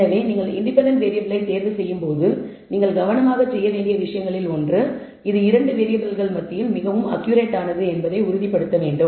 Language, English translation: Tamil, So, when you choose the independent variable one of the things you to do carefully is that you should ensure that this thing is the most accurate among the 2 variables